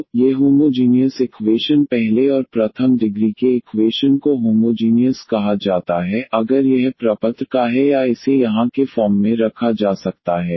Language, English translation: Hindi, So, these homogeneous equations differential equation of first order and first degree is said to be homogeneous, if it is of the form or can be put in the form here of this